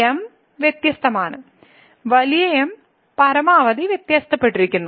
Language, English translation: Malayalam, So, the is different the big the maximum is different